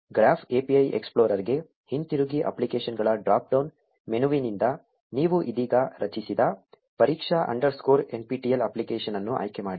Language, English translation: Kannada, Go back to the Graph API explorer, select the test underscore nptel app that you just created from the applications drop down menu